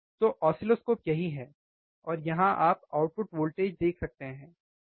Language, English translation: Hindi, So, oscilloscope is right here, and here you can see the output voltage, right